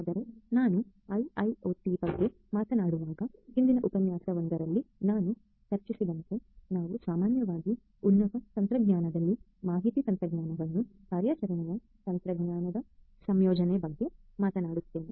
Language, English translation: Kannada, So, when we talk about IIoT, as we discussed in a previous lecture we are typically at a very high level talking about the integration of information technology with operational technology